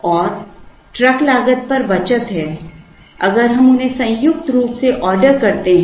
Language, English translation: Hindi, And there is a saving on the truck cost if we order them jointly